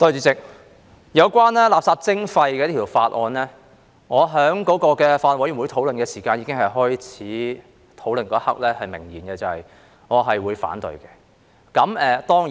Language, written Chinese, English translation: Cantonese, 主席，有關垃圾徵費的法案，我在法案委員會開始討論的一刻已明言我會反對。, President regarding this Bill on waste charging I already made it clear at the very beginning of the deliberations of the Bills Committee that I would oppose it